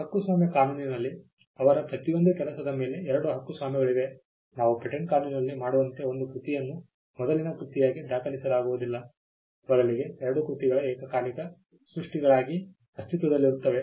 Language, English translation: Kannada, In copyright law there will be two copyrights over each of their work one work will not be recorded as a prior work as we would do in patent law rather both the works will exist as simultaneous creations